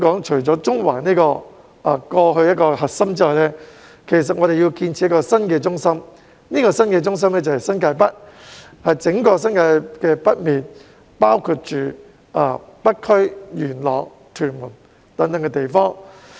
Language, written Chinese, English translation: Cantonese, 除了中環這個過去的核心之外，香港還要建設一個新的中心，就是新界北，即整個新界北面，包括北區、元朗、屯門等地。, Apart from Central which used to be our core area Hong Kong has to build a new centre in New Territories North which is the entire northern part of the New Territories including the North District Yuen Long and Tuen Mun